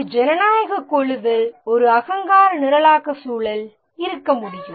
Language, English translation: Tamil, In a democratic team, ideally there can be a egoless programming environment